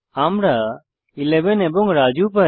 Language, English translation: Bengali, So, we get 11 and Raju